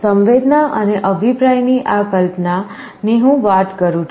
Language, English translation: Gujarati, This is the notion of sensing and feedback I am talking about